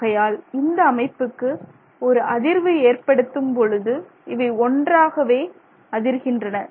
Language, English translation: Tamil, Therefore when a vibration goes through the system, they are vibrating in unition